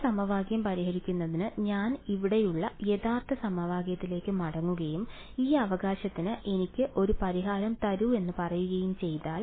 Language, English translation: Malayalam, In order for us to solve this equation if I just go back to the original equation over here and I say give me a solution to this right